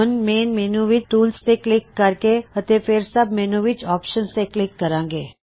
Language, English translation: Punjabi, We will click on Tools in the main menu and Options sub option